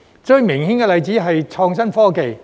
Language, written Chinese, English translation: Cantonese, 最明顯的例子是創新科技。, The most obvious example is innovation and technology IT